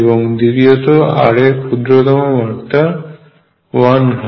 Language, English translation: Bengali, And number two that the lowest power of r is 1